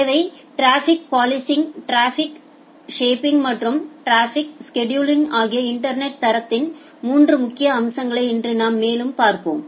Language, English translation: Tamil, Today we will look further into 3 important aspects of internet quality of service traffic policing, traffic shaping and traffic scheduling